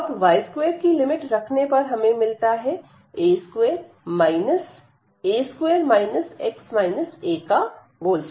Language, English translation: Hindi, So, the limits of y will be from c to d